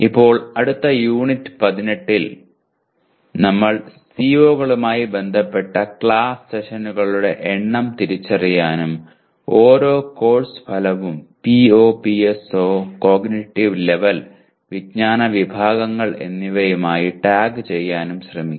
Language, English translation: Malayalam, Now in the next Unit 18 we will try to identify the number of class sessions associated with COs and tag each course outcome with the POs, PSOs, cognitive levels and knowledge categories addressed